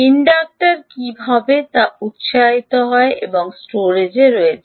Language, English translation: Bengali, the inductor gets energized and there is storage